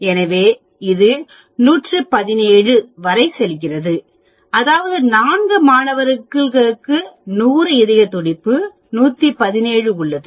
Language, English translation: Tamil, So, it goes right up to 117, that means 4 students have 100 heart beat of 117